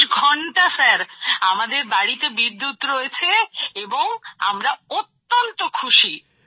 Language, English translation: Bengali, We have electricity in our house and we are very happy